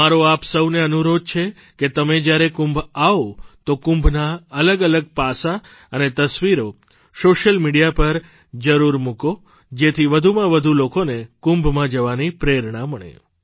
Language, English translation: Gujarati, I urge all of you to share different aspects of Kumbh and photos on social media when you go to Kumbh so that more and more people feel inspired to go to Kumbh